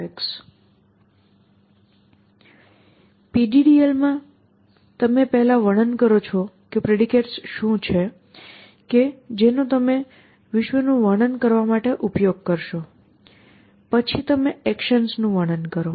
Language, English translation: Gujarati, So, in PDDL you first describe what are the predicates that you will use to describe the world, then you describe actions